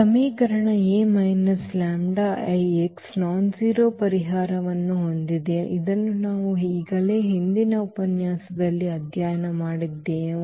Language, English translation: Kannada, So, this equation A minus lambda I x has a non trivial solution which we have already studied in previous lecture